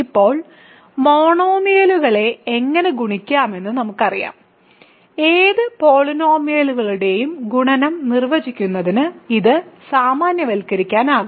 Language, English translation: Malayalam, Now, that we know how to multiply single monomials we can simply generalize this to define multiplication of any polynomials